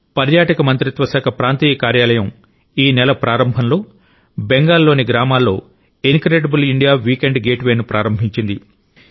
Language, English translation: Telugu, The regional office of the Ministry of Tourism started an 'Incredible India Weekend Getaway' in the villages of Bengal at the beginning of the month